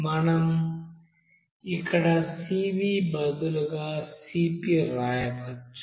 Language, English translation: Telugu, So we can write Cp instead of Cv here